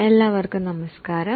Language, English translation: Malayalam, Namaste to all of you